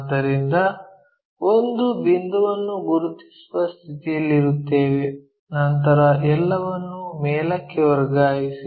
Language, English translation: Kannada, So, that we will be in a position to mark a point somewhere there, then transfer it all the way up